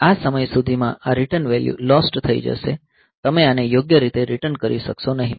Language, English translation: Gujarati, So, by that by this time this return value is lost so you will not be able to return this one properly